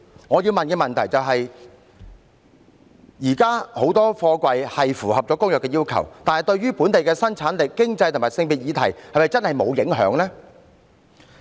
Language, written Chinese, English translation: Cantonese, 我要問的問題是，現時很多貨櫃是符合《公約》的要求，但對於本地生產力、經濟及性別議題是否真的沒有影響呢？, The question I am going to ask is at present many containers are in compliance with the requirements of the Convention but does that really have no local productivity economic or gender implications?